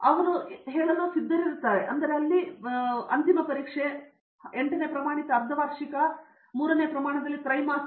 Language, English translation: Kannada, They start with the LKG entrance, then plus two final exam, then some eighth standard half yearly and then third standard quarterly